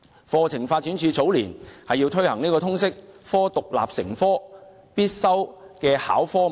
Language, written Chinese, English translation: Cantonese, 課程發展處早年硬推通識科為獨立核心必修必考的科目。, In the early years the Curriculum Development Institute had pushed through the Liberal Studies subject as a mandatory independent core subject